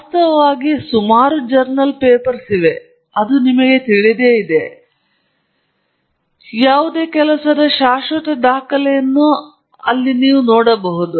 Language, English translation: Kannada, In fact, journal papers are around, I mean, and you know, a permanent record of what work has been done